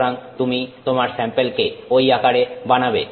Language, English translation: Bengali, So, you make your sample in that form